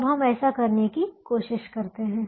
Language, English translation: Hindi, now we try to do that